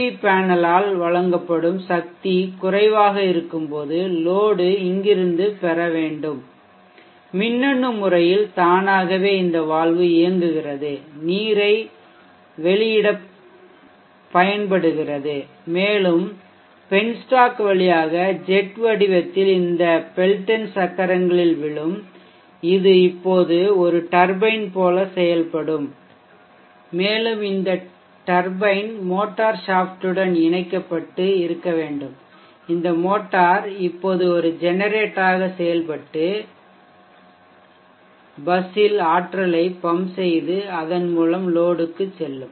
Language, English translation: Tamil, When we when the power delivered by the PV panel is low the load will have to draw from here at pitch time electronically automatically this valve gets operated and released and what will flow through the pen stock and in the form of a check will fall on this tendon wheels and this will now act as a turbine and this turbine will rotate the shaft of this machine this what was supposed to be the motor and this motor will now act as a generator and pump energy into the bus and thereby to the load